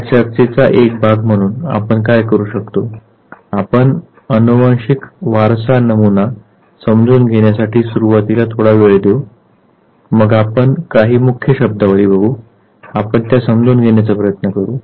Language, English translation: Marathi, What we would do as part of this very discussion is; we would initially spend some time understanding the genetic inheritance pattern, then we would come across certain key terminologies we will try to understand them what each of them mean